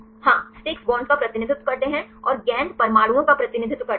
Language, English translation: Hindi, Yeah sticks represent the bonds and the balls represent the atoms